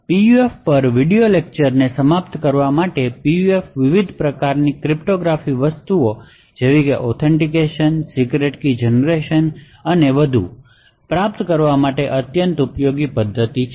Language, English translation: Gujarati, To conclude the video lectures on PUF, PUFs are extremely useful techniques or mechanisms to achieve various cryptographic things like authentication, secret key generation and so on